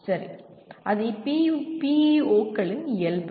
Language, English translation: Tamil, Okay, that is the nature of PEOs